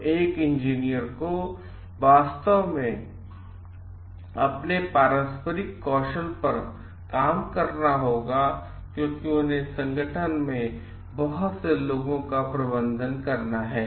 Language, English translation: Hindi, So, an engineer s really have to work on their interpersonal skills, because they have to manage lot of people in the organization